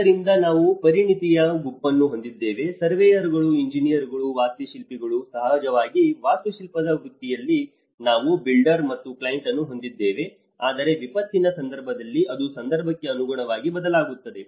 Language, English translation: Kannada, So, we have a set of expertise, the surveyors, the engineers, the architects, of course in the architectural profession, we have another one the builder and the client, but in a disaster context it varies with the context in the context